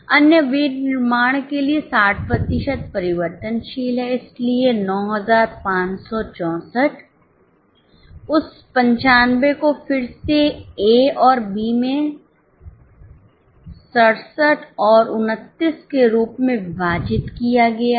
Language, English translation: Hindi, For other manufacturing 60% is variable, so 95 64, that 95 is again broken into A and B as 67 and 29